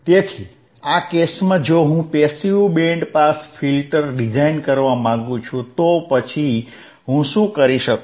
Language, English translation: Gujarati, So, if this is the case and if I want to design passive band pass filter, then what can I do